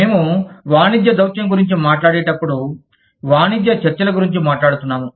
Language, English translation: Telugu, When we talk about, commercial diplomacy, we are talking about, trade negotiations